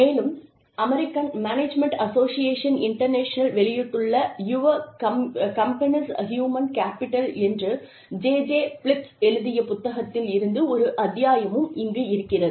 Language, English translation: Tamil, And, there is a chapter, a book chapter by, a book written by, J J Phillips, called, Investing in Your Company's Human Capital, published by, American Management Association International